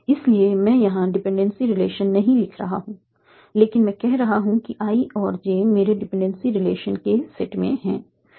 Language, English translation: Hindi, So I'm not writing the dependency relation here, but I am saying I and J are in the set of my dependence relations